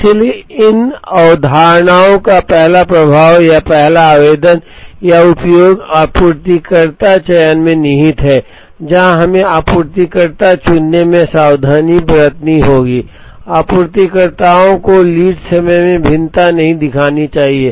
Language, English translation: Hindi, So, the first impact or the first application or use of these concepts lies in supplier selection, where we have to be careful in choosing a supplier, the suppliers should not show variation in lead times